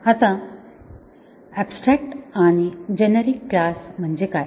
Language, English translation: Marathi, Now, what about abstract and generic classes